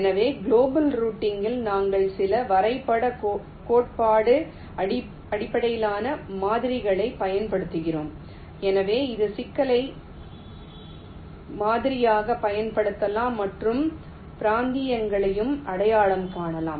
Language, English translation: Tamil, so in global routing we use some graph theory based models so which can be used to model the problem and also identified the regions